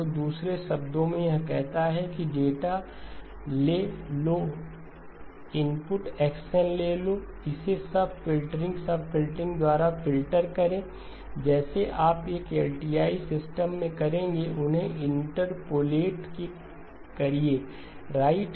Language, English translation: Hindi, So in other words what it says is take the data, take input X , filter it by sub filters, just like you would do an LTI system, interpolate them right